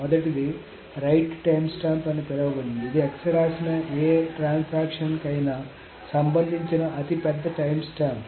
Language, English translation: Telugu, The first one is called the right timestamp, which is the largest timestamp of any transaction that wrote X